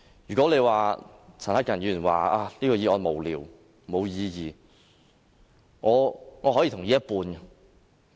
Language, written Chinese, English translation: Cantonese, 如果陳克勤議員說這項議案無聊、無意義，我可以同意一半。, I can only agree with Mr CHAN Hak - kan half - heartedly that this motion is frivolous or meaningless